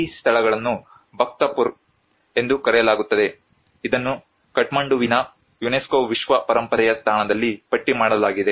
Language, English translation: Kannada, This place is known as Bhaktapur which is listed under the UNESCO world heritage site in Kathmandu